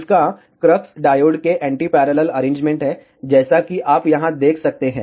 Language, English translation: Hindi, The crux of this is the anti parallel arrangement of the diodes as you can see here